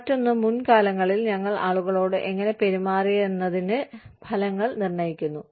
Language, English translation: Malayalam, And, in the other, the results determine, how we have treated people, in the past